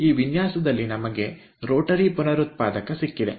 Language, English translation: Kannada, in this design we have got a rotary regenerator